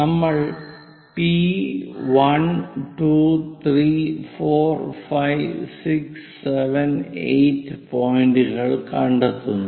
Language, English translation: Malayalam, We locate points P1, 2, 3, 4, 5, 6, 7, 8